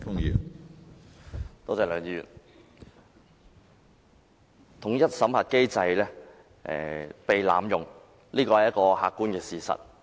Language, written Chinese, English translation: Cantonese, 從政府提供的數字看來，統一審核機制被濫用是一個客觀的事實。, As seen from the figures provided by the Government it is an objective fact that the unified screening mechanism has been abused